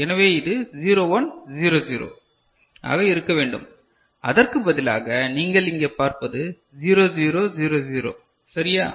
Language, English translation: Tamil, So, it should be 0 1 0 0, instead what you see over here is 0 0 0 0 right